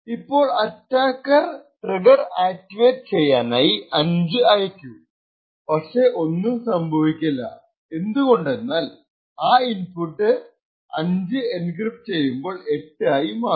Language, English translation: Malayalam, Now, when the attacker sends a value of 5 hoping that the trigger would get activated it will not in this case because in fact the value of 5 is getting encrypted to 8 and therefore will not actually activate the trigger